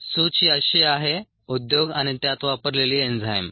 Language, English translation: Marathi, the listing is as enzyme industry and the enzymes used